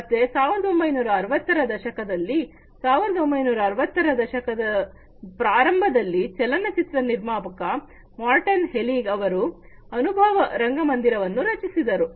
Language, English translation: Kannada, So, in around 1960s early 1960s the filmmaker Morton Heilig he created an experience theater